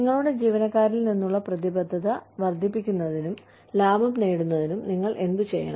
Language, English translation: Malayalam, What should you do, to enhance, commitment from your employees, and to also make profit